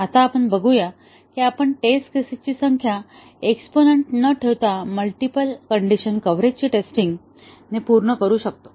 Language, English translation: Marathi, Now, let us see can we achieve the thoroughness of testing of multiple condition coverage without having an exponential number of test cases